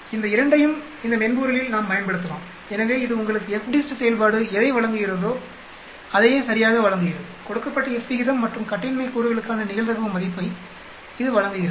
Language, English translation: Tamil, We can use both these functions in this software, so this gives you the exactly whatever the FDIST function gives you, it gives you the probability value for given F ratio and degrees of freedom